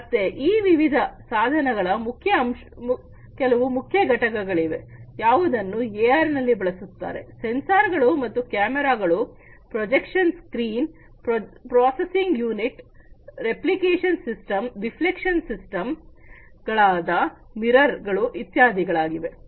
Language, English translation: Kannada, So, these are some of the key components of these different devices, that are used for AR, there are sensors and cameras, projection screen, processing unit, reflection systems like mirrors etcetera